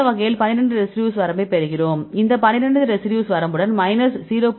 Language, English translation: Tamil, This is how we get the 12 residue limit and with these 12 residue limit we can see the correlation of minus 0